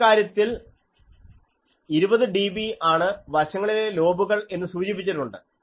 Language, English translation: Malayalam, Now, let us see this is a design that in this case 20 dB side lobes are specified